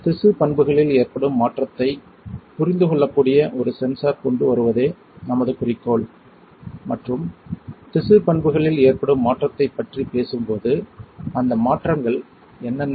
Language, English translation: Tamil, So, our goal is to come up with a sensor that can understand change in the tissue property and when we talk about change in the tissue property; what are those changes